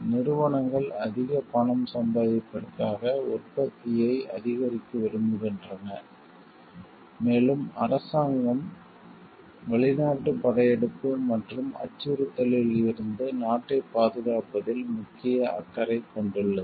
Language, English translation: Tamil, And the companies would want to shoot up the production to make more money and, the government means in main interest lies in protecting the country from foreign invasion and threat